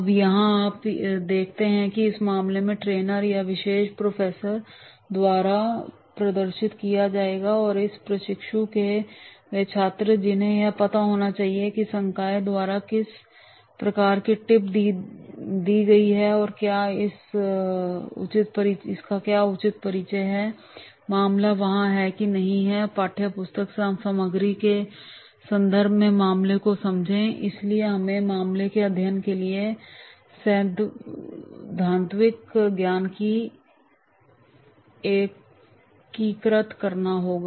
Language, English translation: Hindi, Now here you see this case will be demonstrated by the trainer or that particular professor and therefore the trainees or the students they are supposed to know that is what type of the tip has been given by the faculty and whether the proper introduction of the case and that case has to is there or not and understand the context of the case in terms of material from the textbook